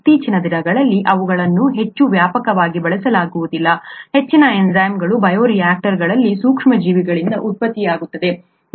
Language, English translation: Kannada, They are not very extensively used nowadays, most enzymes are produced by microorganisms in bioreactors